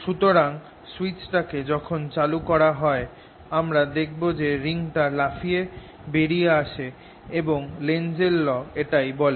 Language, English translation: Bengali, so i'll just switch it on and you'll see that the ring jumps out, and that is the lenz's law